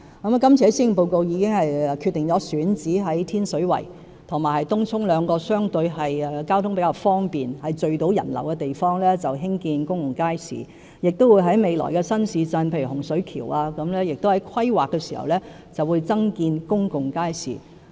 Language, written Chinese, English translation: Cantonese, 我在這份施政報告中已決定在天水圍和東涌兩個相對交通方便，而且能夠聚集人流的選址興建公共街市，亦會在未來新市鎮，例如洪水橋，在規劃時增建公共街市。, In this Policy Address I decided that public markets be built on two sites in Tin Shui Wai and Tung Chung that are relatively more accessible and more likely to attract patrons . We will also provide more public markets in the planning of new towns in future such as Hung Shui Kiu